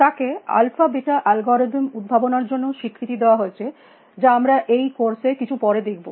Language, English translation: Bengali, He is also credited with having invented the alpha beta algorithm, which we will see a bit later in this course